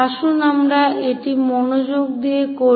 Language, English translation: Bengali, So, let us look at it carefully